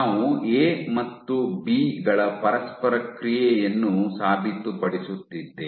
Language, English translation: Kannada, We are proving the interaction of A and B